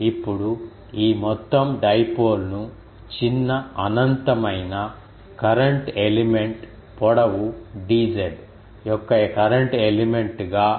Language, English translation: Telugu, Now, at we will break this whole dipole into small infinite decimal current element, current element of length d z as